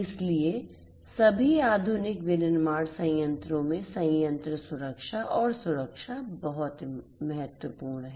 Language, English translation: Hindi, So, plant safety and security is very important in all modern manufacturing plants